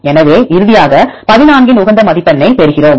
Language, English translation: Tamil, So, finally we get the optimum score of 14